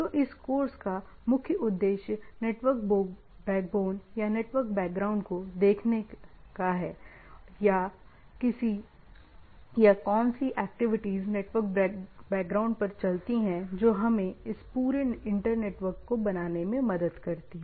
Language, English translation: Hindi, So, this course primarily aims at looking into that backbone or background or the, what the, what activities go out the back of the network which helps us in having a, this whole inter networks, right